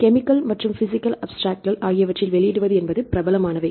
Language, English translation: Tamil, Publish in the chemical abstract and the physical abstracts they are the very famous abstracts